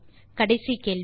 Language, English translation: Tamil, And the final question